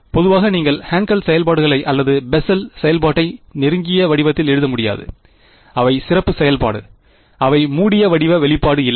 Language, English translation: Tamil, In general you cannot write Hankel functions or Bessel function in closed form; they are special function, they do not have a close form expression